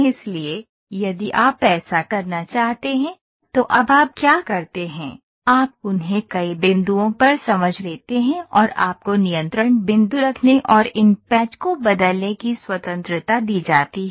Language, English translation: Hindi, So, if you want to do that, now what you do is you discretize them at several points and you are given the freedom of changing the or placing the control points and changing these patches ok